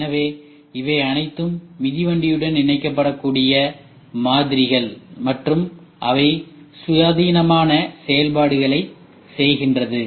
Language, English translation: Tamil, So, these are all models which can be attached to a bicycle and they can do independent functions